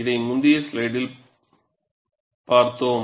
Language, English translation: Tamil, We had seen it in the previous slide